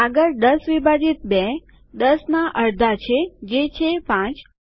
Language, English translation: Gujarati, Next, 10 divided by 2 is just half of 10 which is 5